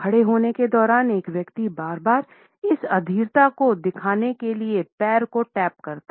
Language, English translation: Hindi, While standing a person may repeatedly tap a foot to indicate this impatience